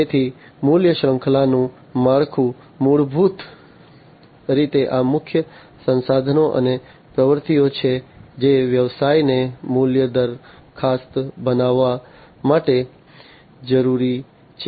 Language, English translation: Gujarati, So, value chain structure basically these are the key resources and the activities that a business requires to create the value proposition